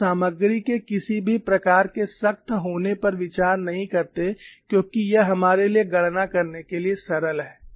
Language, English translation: Hindi, You do not consider any strain hardening of the material, because this is simple for us to do the calculation